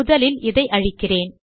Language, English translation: Tamil, Let me first delete this